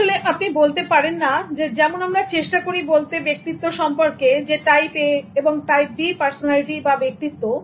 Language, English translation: Bengali, You cannot say, just like we try to talk about human personalities type A, type B